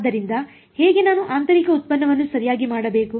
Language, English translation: Kannada, So, how, what should I do inner product right